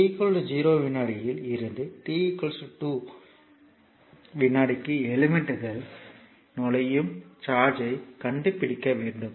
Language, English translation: Tamil, So, we have to find out the charge entering the element from t is equal to 0 second to t is equal to 2 second